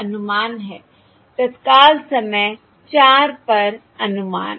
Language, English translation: Hindi, This is the estimate at time, instant four